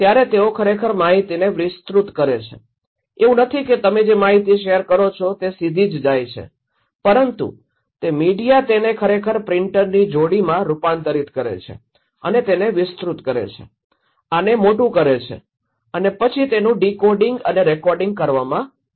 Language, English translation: Gujarati, They actually do amplify, magnify and accentuate the informations, it’s not that what information you pass is go directly but it is the media or the other they actually convert this one in printer pair this one, amplify this one, magnify this one, and then it comes through decoding and recoding